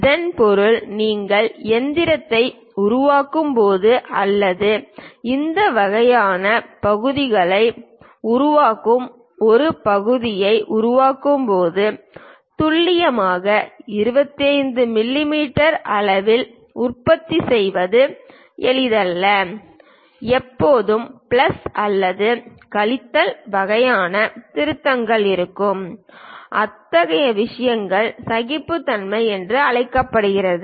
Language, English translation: Tamil, That means, when you are machining or perhaps making a part or producing this kind of parts, it is not easy to produce precisely at 25 mm there always be plus or minus kind of corrections involved; such kind of things are called tolerances